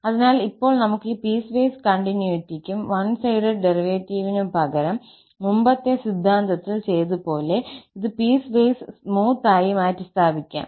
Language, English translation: Malayalam, So, instead of saying piecewise continuity and one sided derivative, we can replace this by slightly more restrictive condition of piecewise smoothness